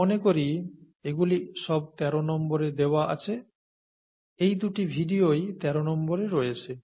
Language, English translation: Bengali, I think these are given in, under item 13, these two videos both are under item 13